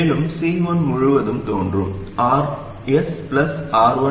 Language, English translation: Tamil, And what appears across C1 is RS plus R1 parallel R2